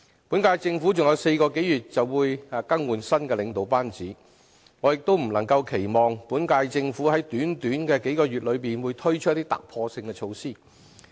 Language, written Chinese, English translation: Cantonese, 本屆政府還有4個多月便會更換新的領導班子，我亦不能期望本屆政府在短短數個月內推出一些突破性的措施。, As the current - term Government will be replaced by the leadership of the next Government after four months or so it cannot possibly be expected to roll out any ground - breaking initiatives over such a short span of several months only